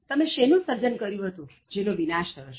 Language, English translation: Gujarati, What did you create that was destroyed